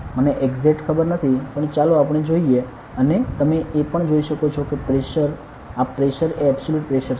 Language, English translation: Gujarati, I do not know exactly, but, let us see and also you can see that the pressure is this Pressure is the absolute Pressure right